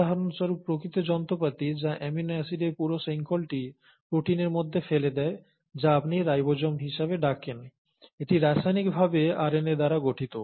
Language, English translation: Bengali, For example, the actual machinery which puts this entire chain of amino acids into a protein which you call as the ribosomes, is chemically made up of RNA